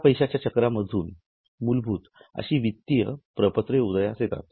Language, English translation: Marathi, Now, from this money cycle, the basic financial statements emerge